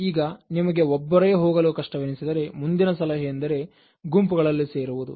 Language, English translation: Kannada, Now in case you find it very difficult to handle it at individual level, the next suggestion is to join groups